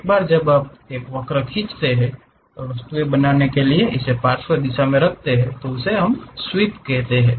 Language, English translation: Hindi, Using that command once you draw a curve you can really sweep it in lateral direction to make the object